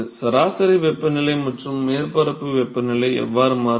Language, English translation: Tamil, How does mean temperature and surface temperature vary with x ok